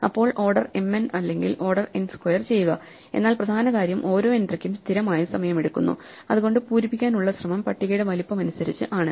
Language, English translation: Malayalam, So, order mn or order n squared, but the point was each entry takes constant time, so the effort involved is the same as size of the table, m n table or takes m n time